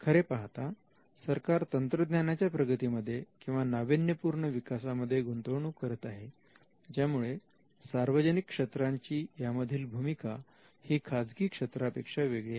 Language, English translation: Marathi, It is actually making an investment into technological growth or innovation led growth and the state can actually now see that the public sector has a role that is different and distinct from the private sector